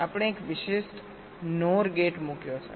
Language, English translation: Gujarati, we have put an exclusive node gates